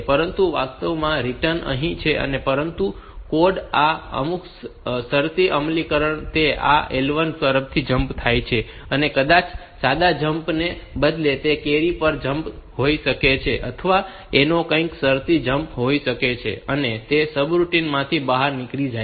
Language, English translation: Gujarati, But actual the return is here, but in some conditional execution of the code it jumps from this L 1 maybe instead of a simple jump, it may be a jump on carry or something like that some conditional jump and it jumps out of the subroutine